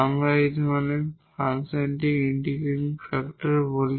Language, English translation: Bengali, So, in that case this is the integrating factor